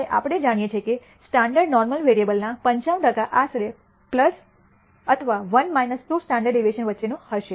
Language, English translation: Gujarati, Now, we know that 95 percent of the of a standard normal variable will lie between plus or 1 minus 2 standard deviation approximately